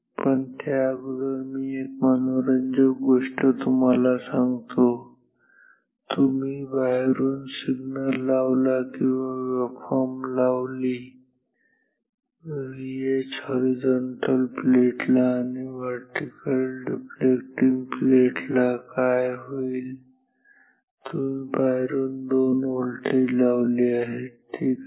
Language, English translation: Marathi, But, before that let me just talk about another interesting thing, which is what happens if you apply to external waveforms or signals across V H the horizontal plate, horizontal reflecting plate and vertically deflecting plate, what happens if you apply 2 voltages from outside ok